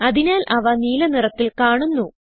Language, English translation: Malayalam, So they appear in blue color